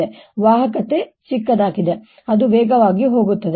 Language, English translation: Kannada, so a smaller the conductivity, faster it goes